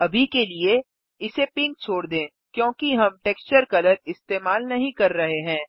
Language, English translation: Hindi, For now, lets leave it as pink because we are not using the texture color